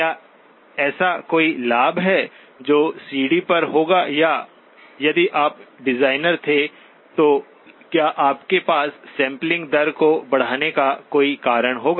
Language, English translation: Hindi, Is there any advantage that that would have over the CD or if you were designer, would you have any reason to increase the sampling rate